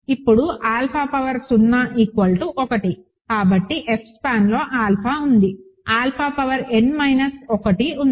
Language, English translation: Telugu, Now, because alpha power 0 is 1, is in the F span alpha is there, alpha power n minus 1 is there